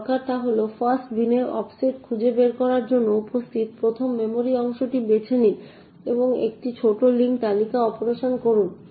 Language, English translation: Bengali, All that is required is just to find the offset in the fast bin pick out the 1st memory chunk that is present and do a small link list operation